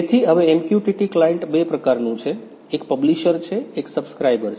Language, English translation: Gujarati, So, now, MQTT client is of two types; one is publisher, one is subscriber